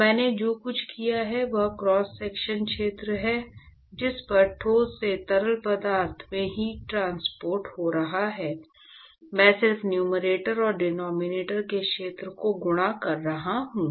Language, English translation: Hindi, So, all I have done is the cross sectional area at which the heat transport is occurring from the solid to the fluid, I am just multiplying the area in the numerator and denominator